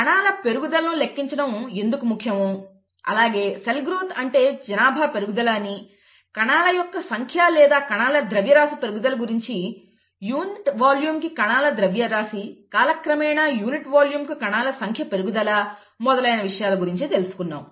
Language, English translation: Telugu, And we also looked at cell growth; why is it important to quantify cell growth; by cell growth we mean the population growth, the number of cells or the mass of cells increasing, mass of cells per unit volume, number of cells per unit volume increasing with time, okay